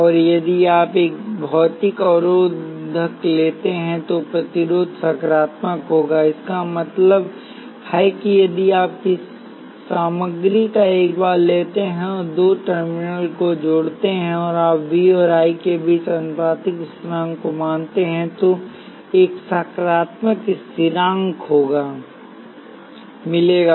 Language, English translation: Hindi, And if you take a physical resistor, the resistance will be positive; that means, that if you take a bar of material and connect two terminals to it and you measure the proportionality constant between V and I, you will find a positive constant